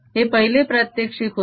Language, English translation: Marathi, that was demonstration one